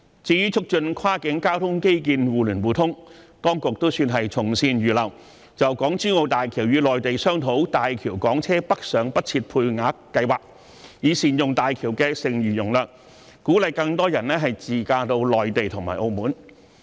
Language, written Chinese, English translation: Cantonese, 至於促進跨境交通基建的互聯互通，當局算是從善如流，就港珠澳大橋與內地商討大橋港車北上不設配額計劃，以善用大橋的剩餘容量，鼓勵更多人自駕到內地和澳門。, As for promoting the connectivity of cross - boundary transport infrastructure the authorities have heeded good advice and discussed with the Mainland the Quota - free scheme for Hong Kong private cars travelling to Guangdong via the Hong Kong - Zhuhai - Macao Bridge HZMB so as to make optimal use of the unused capacity of HZMB and encourage more people to drive to the Mainland and Macao